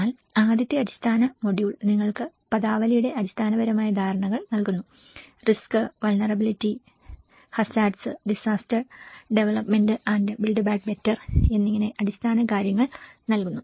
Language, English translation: Malayalam, But then, the first basic module gives you the very fundamental understandings of the terminology, risk, vulnerability, hazards, disaster, development and the build back better